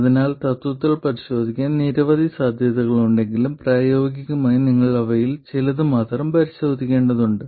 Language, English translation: Malayalam, So although in principle there are many possibilities to check, in practice you have to check only a few of them